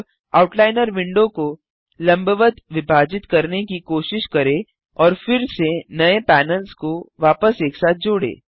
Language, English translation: Hindi, Now, try to divide the Outliner window vertically and merge the new panels back together again